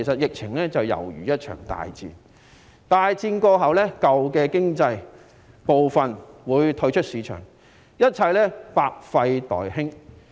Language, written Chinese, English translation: Cantonese, 疫情猶如一場大戰，大戰過後，舊的經濟部分會退出市場，一切百廢待興。, The epidemic is comparable to a great war . After the war the old components of the economy will fade away with many things waiting to be done